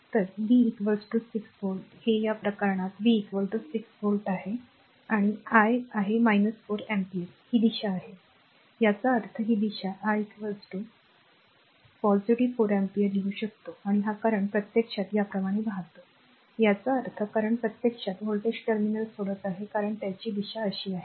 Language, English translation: Marathi, So, V is equal to 6 volts second case it is in the second case V is equal to 6 volt and I is minus 4 ampere this direction; that means, this direction I is equal to I can write positive 4 ampere and this current actually is flowing like this it is flowing like this; that means, the current actually leaving the voltage terminal because it is direction is like this